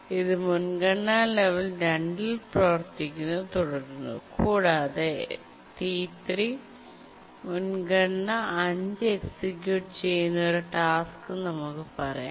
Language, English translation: Malayalam, It continues to operate at the priority level 2 and let's say a priority 5 task T3 executes